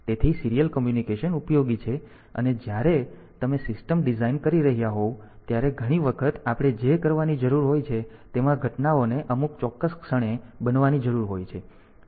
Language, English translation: Gujarati, So, the serial communication is useful and when you are designing a system then many a times what we need to do is the events will or need it needed to be occurred at some particular instants of time